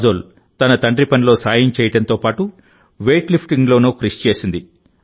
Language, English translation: Telugu, Kajol would help her father and practice weight lifting as well